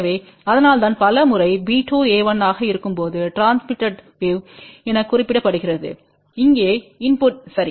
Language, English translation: Tamil, So, that is why many a times b 2 is mentioned as transmitted wave when a 1 is the input here ok